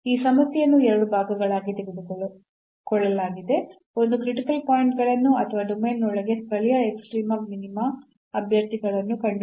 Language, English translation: Kannada, So, this problem is taken into two parts: one is finding the critical points or the candidates for local extrema minima inside the domain